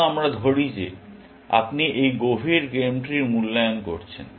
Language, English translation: Bengali, Let us say that you are evaluating this deep game tree